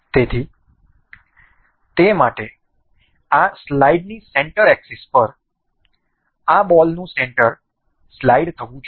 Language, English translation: Gujarati, So, for that we have we need the center of this ball to slide along the center axis of this slide